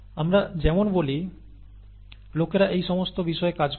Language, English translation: Bengali, And as we speak, people are working on all these things